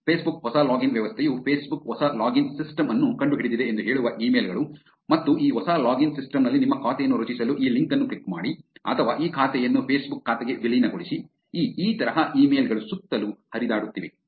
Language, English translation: Kannada, Facebook new login system that is emails going around which says that Facebook has invented a new login system and click on this link to create your account on this new login system or merge this account to the Facebook account and things like that, these emails have been going around